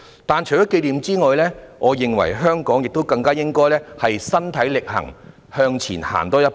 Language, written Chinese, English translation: Cantonese, 不過，除了紀念外，我認為香港更應該身體力行，向前多走一步。, However apart from commemoration I think Hong Kong should commit more and take one step further